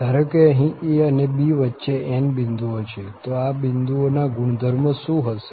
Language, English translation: Gujarati, Suppose there are n points between a and b, what is the property of these points